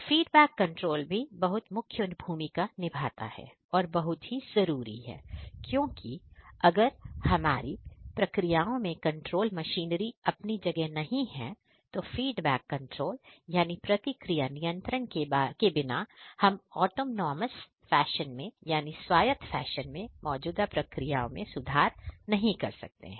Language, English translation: Hindi, So, you need to have a proper control machinery in place because without the feedback control you are not going to improve the existing processes in an autonomous fashion, right